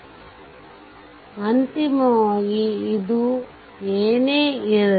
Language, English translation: Kannada, So, ultimately this whatever is there